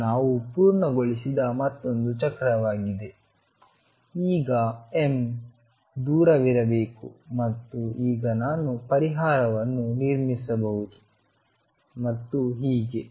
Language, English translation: Kannada, This is another cycle we have completed this m should be way away and now I can build up the solution and so on